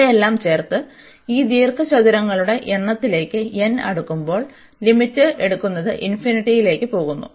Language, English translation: Malayalam, Adding all these and then taking the limit as n approaches to the number of these rectangles goes to infinity